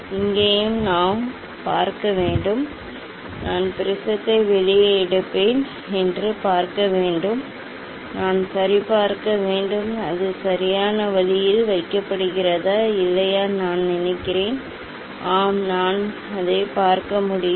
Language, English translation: Tamil, here also I have to see, I have to see I will take prism out, I have to see the ok, it is placed at right way or not, I think I will just, yes, I can see that one